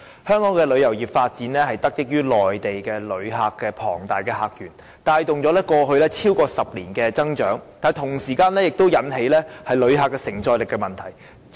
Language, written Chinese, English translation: Cantonese, 香港旅遊業的發展得益於內地旅客的龐大客源，帶動了過去超過10年的增長，但同時引起旅客承載力的問題。, The development of the tourism industry of Hong Kong should be attributed to the enormous visitor source of Mainland visitors which had been the engine of economic growth in the past decade yet it has led to the problem of receiving capability in Hong Kong